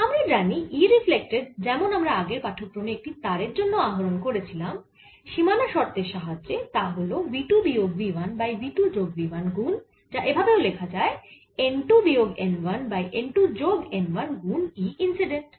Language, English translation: Bengali, i know that e reflected, for whatever we derived in the lecture through boundary conditions is nothing, but earlier we wrote it for the string v two minus v one over v two plus v one, which could also be written as n one minus n two over n one plus n two times o e incident e incident